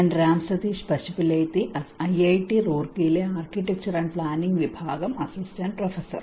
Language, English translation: Malayalam, I am Ram Sateesh Pasupuleti, assistant professor, department of Architecture and Planning, IIT Roorkee